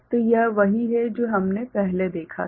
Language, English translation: Hindi, So, it is what we had seen before